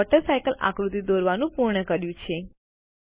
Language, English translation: Gujarati, We have completed drawing the Water Cycle diagram